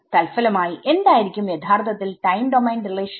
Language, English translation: Malayalam, So, as a result of this what is actually our time domain relation then